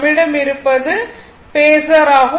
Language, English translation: Tamil, So, same thing we have this is a Phasor